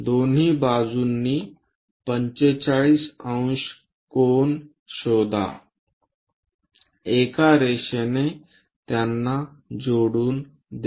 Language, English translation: Marathi, Locate 45 degree angle on both sides join it by a line